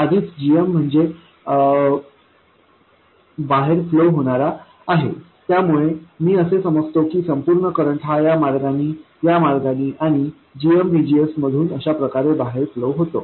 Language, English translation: Marathi, Since GM is already flowing away, I will take all the currents going away, this way, that way, and GMVGS